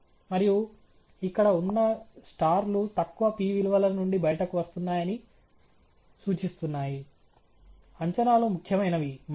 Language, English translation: Telugu, And the stars here also indicate along which are coming out of the low p values that the estimates are significant, good